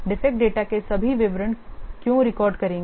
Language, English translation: Hindi, Why will record all the details of the defect data